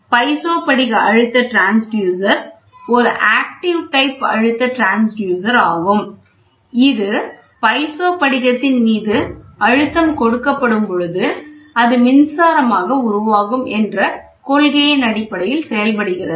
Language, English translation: Tamil, So, the piezo crystal pressure transducer is an active type of pressure transducer, which works on the principle when the pressure is applied on a piezo crystal an electric charge is generated